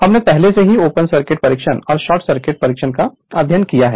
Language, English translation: Hindi, Already we have studied open circuit test and short circuit right